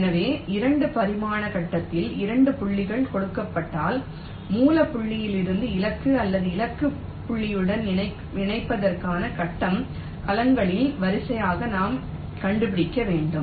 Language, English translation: Tamil, so, given two points on the two dimensional grid, we have to find out the sequence of grid cells for connecting from the source point to the destination or or the target point